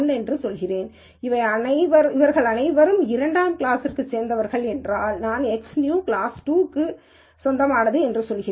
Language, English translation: Tamil, If all of them belong to class 2, I say X new is class 2